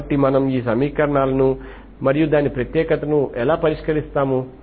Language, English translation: Telugu, So we will see this, so this is how we solve these equations and its uniqueness